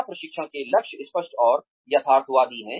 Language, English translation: Hindi, Are the goals of training, clear and realistic